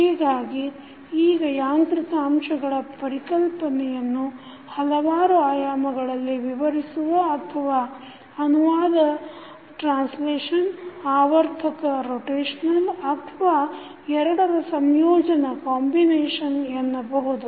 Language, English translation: Kannada, So, now the notion of mechanical elements can be described in various dimensions or we can say as translational, rotational or combination of both